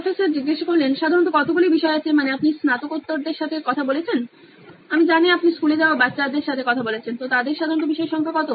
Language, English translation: Bengali, How many subjects do typically they I mean you’ve talked to postgraduates, I know you’ve talked to school going kids, so what is the typical number of subjects that they have